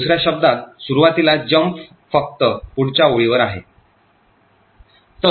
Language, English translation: Marathi, So, in another words initially the jump is just to the next line